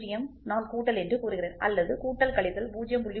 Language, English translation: Tamil, 0 I say plus that is all or I can say plus minus 0